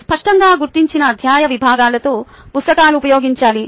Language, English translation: Telugu, books with clearly identified chapter sections must be used